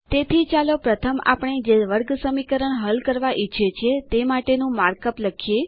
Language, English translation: Gujarati, So first let us write the mark up for the quadratic equation that we want to solve